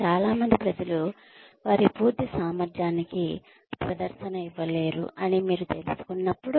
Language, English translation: Telugu, When you come to know that, a lot of people are not able to perform, to their full potential